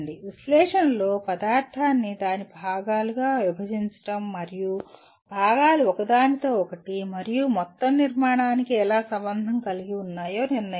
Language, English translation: Telugu, Analyze involves breaking the material into its constituent parts and determining how the parts are related to one another and to an overall structure